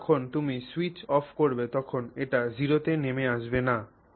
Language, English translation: Bengali, Only thing is when you switch off it will not drop to zero